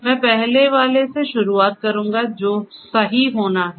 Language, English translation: Hindi, I would start with the first one which is correctness